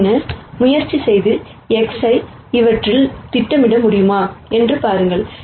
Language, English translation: Tamil, And then try and see whether I can project X on to these